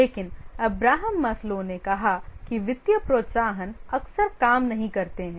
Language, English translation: Hindi, But Abraham Maslow, he said that financial incentives often do not work